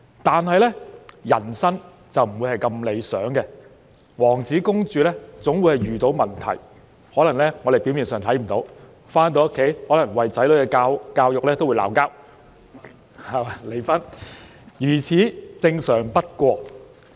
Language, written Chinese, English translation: Cantonese, 然而，人生不會如此理想，王子和公主總會遇到問題，可能其他人表面上察覺不到；一對夫婦在回家後可能會為子女的教育問題爭吵，最後甚至弄致離婚，如此正常不過。, However life is not always so ideal . The prince and the princess will also encounter problems which may not be apparent to others . A couple may come home and argue over the education of their children and this may eventually even end in divorce which is not unusual at all